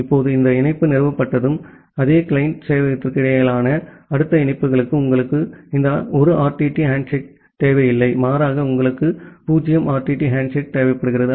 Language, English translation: Tamil, Now, once this connection has been established, then for the next ongoing connections between the same set of client server, you do not require this 1 RTT handshake rather you require a 0 RTT handshake